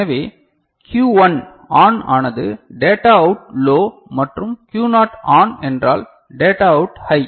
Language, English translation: Tamil, So, Q1 ON is then data out is low and Q naught ON is data out is high ok